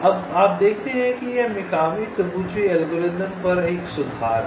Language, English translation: Hindi, ok, now you see, this is an improvement over the mikami tabuchi algorithm